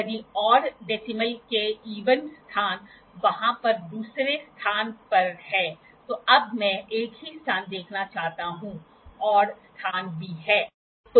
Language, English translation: Hindi, If the odd, the even places of decimal at the second place over there, now, I would like to see the single place; the odd places are also be there